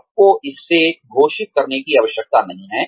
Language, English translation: Hindi, You do not have to declare it